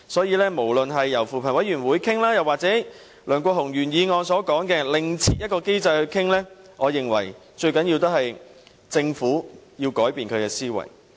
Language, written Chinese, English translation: Cantonese, 因此，不論是由扶貧委員會討論，還是按梁國雄議員原議案所說，另設機制來討論，我認為最重要的是政府要改變其思維。, Hence no matter the discussion will be carried out through CoP or a newly established mechanism as proposed by Mr LEUNG Kwok - hung in his original motion I think the key lies in the Government changing its mentality